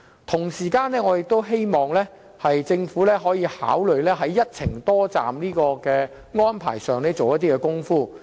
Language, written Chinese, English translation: Cantonese, 同時，我希望政府可考慮在一程多站的安排上多下工夫。, Moreover I hope that the Government can also consider making more efforts in promoting multi - destination itineraries